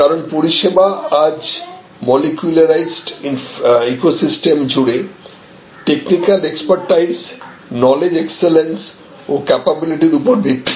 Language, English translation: Bengali, Because, today the services are molecularised across an ecosystem based on technical expertise, knowledge excellence and capability